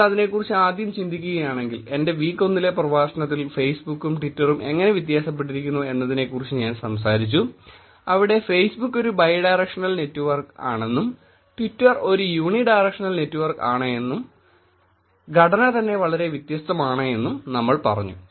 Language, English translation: Malayalam, If you think about it initially I talked about how Facebook and twitter are different in my week 1 lecture, where we said that Facebook is a bi directional network and twitter is a unidirectional network and the structure itself is very different